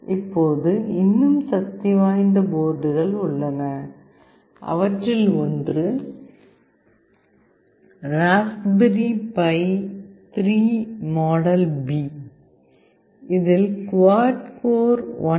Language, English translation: Tamil, Now, there are even more powerful boards one of which is Raspberry Pi 3 model B, which consists of quad core 1